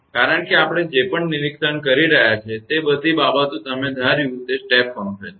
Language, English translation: Gujarati, Because all the things whatever we are observing it is step function you assumed right